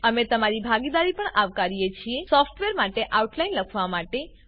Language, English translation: Gujarati, We also welcome your participation On writing the outline for the software